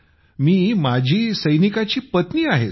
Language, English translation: Marathi, This is an ex Army man's wife speaking sir